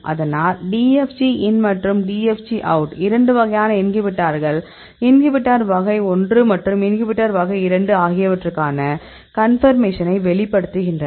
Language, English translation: Tamil, So; DFG in and DFG out conformation for the two types of inhibitors inhibitor type 1 and inhibitor type 2